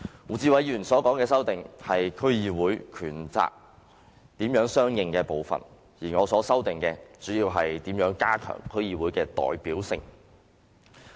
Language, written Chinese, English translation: Cantonese, 胡志偉議員所提出的修正案是區議會權責如何相對應的部分，而我提出的修正案，主要是如何加強區議會的代表性。, Mr WU Chi - wais amendment is about the compatible powers and responsibilities of DCs and my amendment mainly deals with how to increase the representativeness of DCs